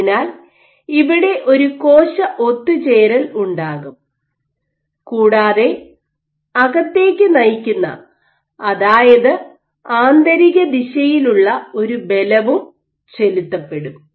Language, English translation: Malayalam, So, you will have a cell assemble on this, an exert forces which are inward direction which are directed inward